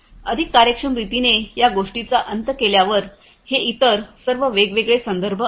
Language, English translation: Marathi, , in a much more efficient manner with this we come to an end these are all these other different references